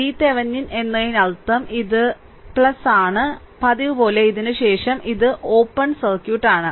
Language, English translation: Malayalam, V Thevenin means, this is plus and this is your minus as usual and after this and it is open circuit